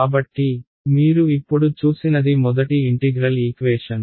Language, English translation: Telugu, So, what you have seen now is your very first integral equation